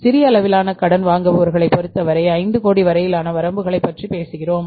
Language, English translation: Tamil, In case of the small scale borrowers we talk about the limits up to 5 crores